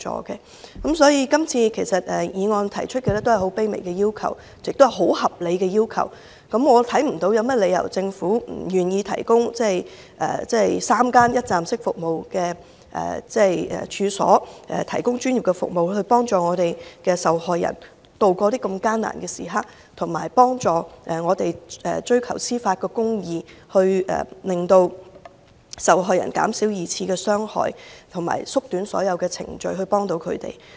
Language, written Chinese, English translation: Cantonese, 今次議案提出的只是很卑微的要求，亦很合理，我看不到政府有甚麼理由不願意提供3間一站式服務的處所，提供專業服務，以幫助受害人度過艱難時刻，協助他們追求司法公義，減少對受害人的二次傷害，同時，縮短所有程序來協助他們。, What this motion puts forward are some very humble and reasonable requests . I can see no reason why the Government can refuse to set up three one - stop service premises to provide professional services aiming at helping victims to ride out the hard times assisting them in pursuing justice minimizing secondary victimization and shortening all the procedures to help them